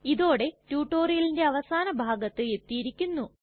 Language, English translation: Malayalam, This brings me to the end of this tutorial at last